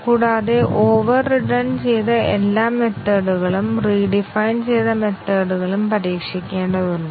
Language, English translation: Malayalam, And also all the overridden methods, the redefined methods have to be tested